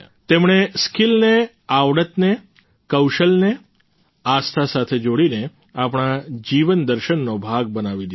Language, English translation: Gujarati, They have interlinked skill, talent, ability with faith, thereby making it a part of the philosophy of our lives